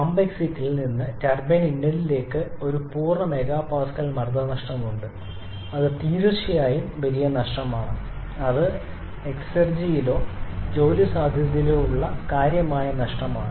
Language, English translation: Malayalam, So, there is one full mega Pascal pressure drop from pump exit to the turbine inlet, which is definitely huge loss a significant loss in exergy or work potential